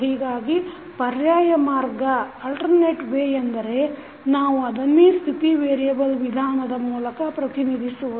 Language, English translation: Kannada, So, the alternate way can be that, we represent the same into state variable methods